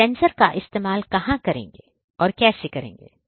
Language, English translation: Hindi, So, what sensors are going to be used